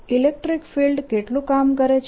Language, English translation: Gujarati, how much work does the electric field do